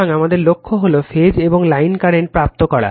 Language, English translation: Bengali, So, our goal is to obtain the phase and line currents right